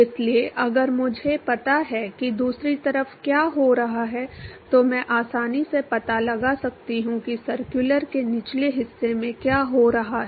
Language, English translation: Hindi, So, if I know what happening on the other side, I can a easily find out what is happening on the lower bottom of the circular